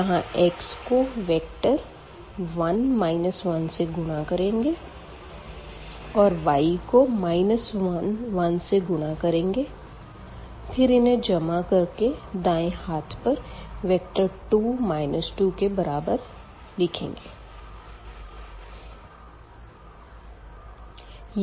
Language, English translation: Hindi, So, x and multiplied by 1 and minus 1 and y will be multiplied by minus 1 and this 1 the right hand side vector is 1 and 2